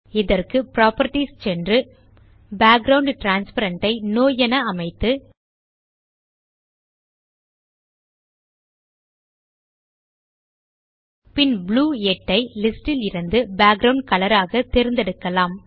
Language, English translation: Tamil, To do this, we will go to the properties and change the Background transparent to No, And then select Blue 8 from the list for Background colour